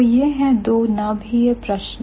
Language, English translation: Hindi, So, these are the two focus questions